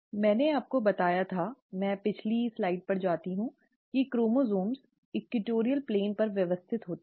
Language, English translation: Hindi, I told you, let me go back to the back slide, that the chromosomes arrange at the equatorial plane